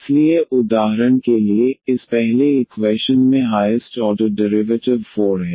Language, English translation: Hindi, So, for example, in this first equation the highest order derivative is 4